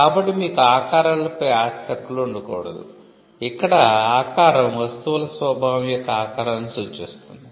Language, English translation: Telugu, So, you cannot have property rights on shapes; where the shape signifies the shape of the nature of the goods themselves